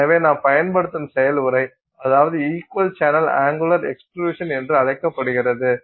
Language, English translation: Tamil, So, so the process that we use is something called equal channel angular extrusion